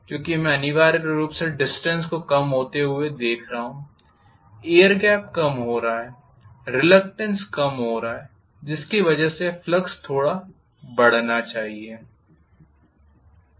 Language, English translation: Hindi, Because I am essentially looking at the distance decreasing, the air gap decreasing, the reluctance decreasing because of which I should have the flux increasing slightly